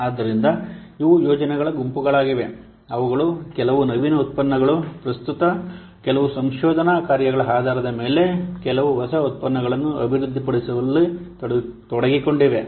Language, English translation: Kannada, So these are the groups of projects which are involved in developing some new products, some innovative product, based on some current research work